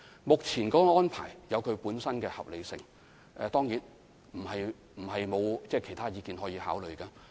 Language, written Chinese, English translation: Cantonese, 目前的安排有其本身的合理性，當然，這並非表示沒有其他意見可考慮。, The current arrangements are underpinned by their respective justifications . Certainly this does not mean that there are no other views to be considered